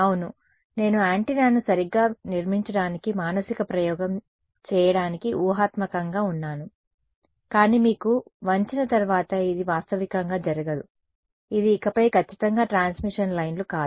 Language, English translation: Telugu, Yeah, I am hypothetical like doing a mental experiment to construct an antenna right, but this is not going to be realistically once you bend it is no longer exactly a transmission lines